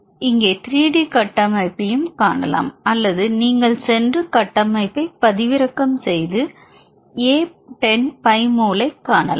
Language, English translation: Tamil, You will move on to see the 3D structure, we can also have 3D structure here or you can go and download the structure and view a10 pi mole